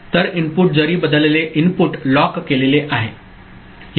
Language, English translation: Marathi, So, even if input has changed the input is locked out